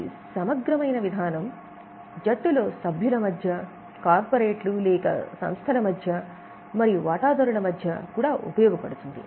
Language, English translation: Telugu, This is useful within the team also and between the corporates and other entities or stakeholders as well